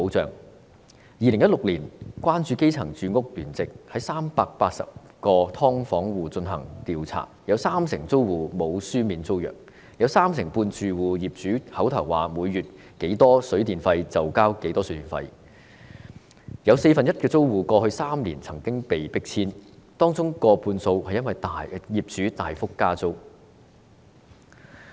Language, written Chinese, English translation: Cantonese, 在2016年，關注基層住屋聯席對380個"劏房戶"進行調查，有三成租戶並無簽署書面租約；有三成半住戶由業主口頭說每月多少水電費，他們便繳交多少水電費；有四分之一的租戶過去3年曾被迫遷，當中過半數是因為業主大幅加租。, In 2016 the Concerning Grassroots Housing Rights Alliance conducted a survey on 380 households in subdivided units . Among them 30 % of the tenants did not sign any tenancy agreement in written form; 35 % paid water and electricity tariffs as verbally told by their landlords every month; and 25 % had been forced to move out in the past three years . More than half of such cases were caused by drastic increases in rent